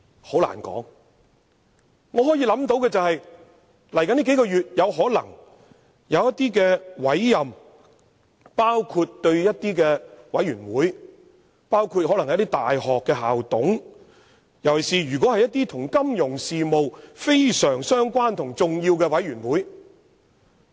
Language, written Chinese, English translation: Cantonese, 很難說，但我可以想到，在未來數個月，他可能還會作出一些委任，包括某些委員會成員、大學校董，尤其是一些與金融事務非常相關的重要委員會。, It is very difficult to tell but I can imagine that he may still need to make some more appointments in the next few months including the appointment of members to certain university councils and various committees especially some important committees closely related to financial affairs